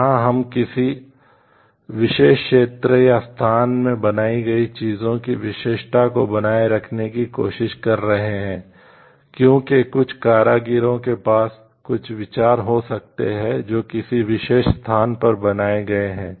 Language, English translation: Hindi, Here we are also trying to give a protection for the like uniqueness of the things produced in a particular area or locality, because there may be some craftsmen some idea which has developed in a particular place